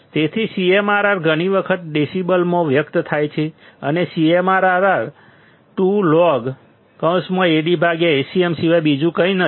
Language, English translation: Gujarati, So, CMRR is many times expressed in decibels and CMRR is nothing but 20 log Ad by Acm